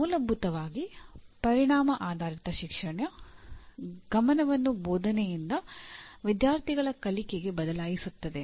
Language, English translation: Kannada, Fundamentally, Outcome Based Education shifts the focus from teaching to student learning